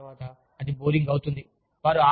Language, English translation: Telugu, But, after that, it becomes boring